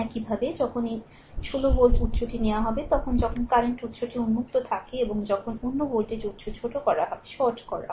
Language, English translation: Bengali, Similarly, when I mean when this 16 volt source is taken, but current source is open and when another voltage source is shorted